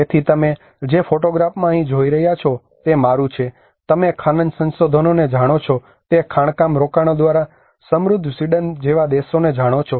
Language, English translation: Gujarati, So in the photograph what you are seeing here is mine, you know countries like Sweden the rich by means of mining investments you know the mining resources